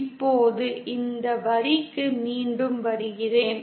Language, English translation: Tamil, Now coming back to this line